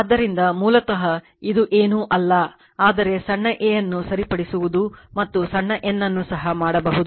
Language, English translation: Kannada, So, basically this is nothing, but your you can fix small a and you can small n also right